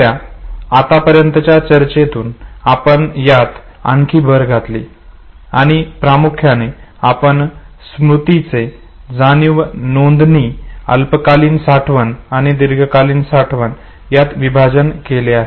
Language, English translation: Marathi, Based on the discussion that we had till now and if you add a little more to what you saw right now, we primarily divide memory sensory register, short term storage and long term storage